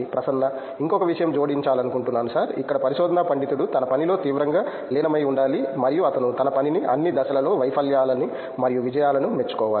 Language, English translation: Telugu, One more point, I would like to add sir, here research scholar, he has to seriously attach to his work and he has to appreciate his work in all the stages failure and success